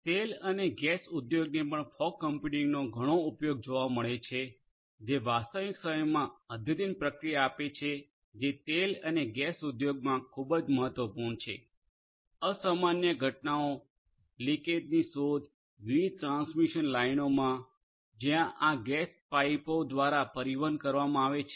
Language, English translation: Gujarati, Oil and gas industry also finds lot of use of fog computing, offering real time advanced operations is very important in the oil and gas industry, detection of unusual events detection of leakages through different transmission lines, transmission means like you know where this gas is being transported these gas pipes and so on